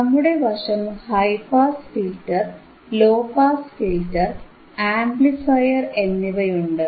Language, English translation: Malayalam, We have high pass filter, high pass filter, we have low pass filter, and we have amplifier, right